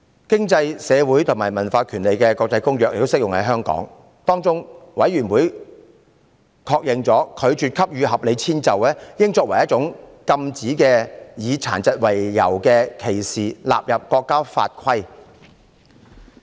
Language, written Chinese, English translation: Cantonese, 《經濟、社會與文化權利國際的公約》亦適用於香港，有關委員會確認，應把拒絕給予合理遷就作為一種予以禁止、以殘疾為由的歧視納入國家法規。, The International Covenant on Economic Social and Cultural Rights also applies to Hong Kong . The committee concerned recognized that the denial of reasonable accommodation should be included in national legislation as a prohibited form of discrimination on the ground of disability